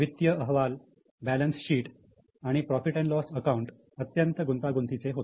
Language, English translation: Marathi, The financial reports, their balance sheet and P&L were extremely complicated